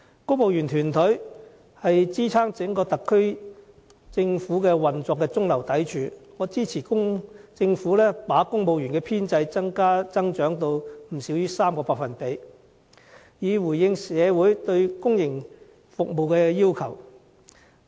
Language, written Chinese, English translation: Cantonese, 公務員團隊是支撐整個特區政府運作的中流砥柱，我支持政府把公務員編制增長至 3% 或以上，以回應社會對公營服務的需求。, The civil service is the mainstay of the whole SAR Government . I support the Governments initiative of increasing the civil service establishment by 3 % or more to meet the demand for public service in society